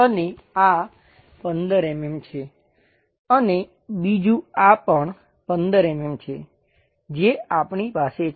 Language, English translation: Gujarati, And this is also another 15 mm and this one also another 15 mm what we are going to have